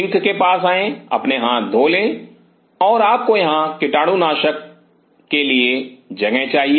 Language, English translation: Hindi, Come to the sink you wash your hands and you should have a place for disinfectant here